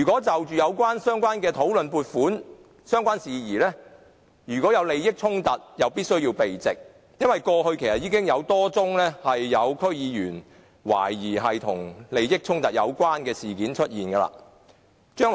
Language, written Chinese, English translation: Cantonese, 在討論相關撥款事宜時，如果有利益衝突，便必須避席，因為過去已有多宗懷疑區議員涉及利益衝突的事件發生。, If there is any conflict of interests when matters relating to funding are under discussion the DC members concerned must withdraw from the meeting because a number of cases of suspected conflicts of interests involving DC members have taken place before